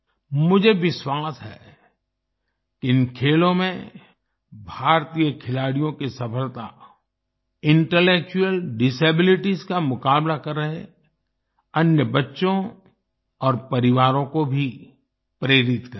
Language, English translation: Hindi, I am confident that the success of Indian players in these games will also inspire other children with intellectual disabilities and their families